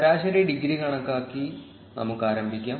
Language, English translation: Malayalam, Let us begin by computing the average degree